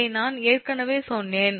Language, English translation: Tamil, this i told you already